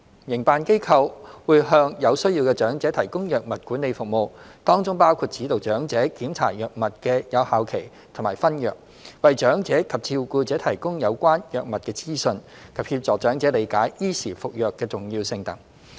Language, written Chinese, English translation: Cantonese, 營辦機構會向有需要的長者提供藥物管理服務，當中包括指導長者檢查藥物的有效期和分藥、為長者及照顧者提供有關藥物的資訊及協助長者理解依時服藥的重要性等。, Operators will provide drug management service for elderly persons in need which includes advising them to check the expiry date of medication and sorting medication providing them and their carers with information related to medication assisting them to understand the importance of taking medication on time etc